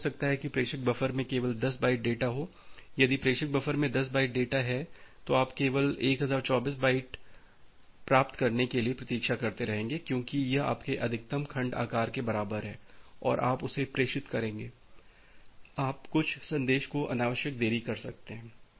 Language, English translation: Hindi, It may happened that the sender buffer have only 10 byte of data, if the sender buffer has 10 byte of data, then if you just keep on waiting for whenever you will get 1024 byte, because it is equal to your maximum segment size and you will transmit that, you may unnecessary delay certain message